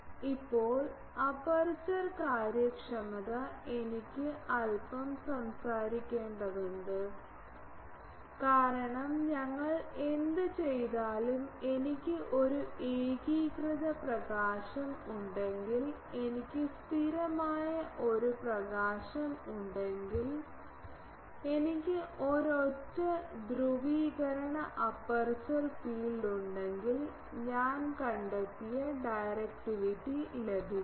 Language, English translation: Malayalam, Now, aperture efficiency I need to talk a bit because whatever we have done that if I have an uniform illumination, if I have a constant phase illumination, if I have a single polarisation aperture field then I get the directivity I have found